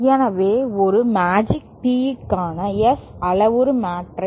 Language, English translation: Tamil, So, the S parameter matrix for a magic tee